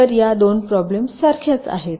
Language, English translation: Marathi, so these two problems are the same